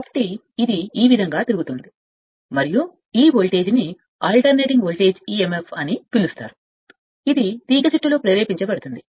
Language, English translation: Telugu, So, this why it is revolving and a voltage will be what you call an alternating voltage emf will be induced in the coil right